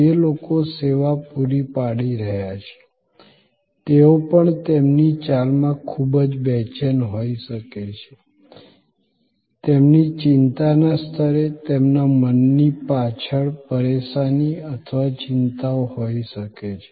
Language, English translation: Gujarati, The people, who are providing the service they may also have such very anxious in their move, in their level of anxiety, at the back of their mind there can be botherations or worries